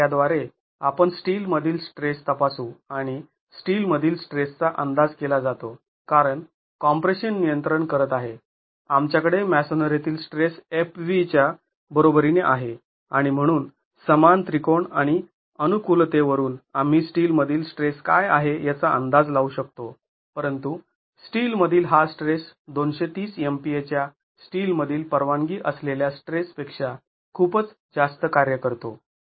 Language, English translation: Marathi, Now with that let us check the stress in steel and the stress in steel because of the stress in steel is estimated because now as the compression controls we have the stress in masonry equal to fb and therefore from similar triangles and compatibility we can estimate what the stress in steel is but this stress in steel works out to be much higher than the permissible stress in steel which is 230 mp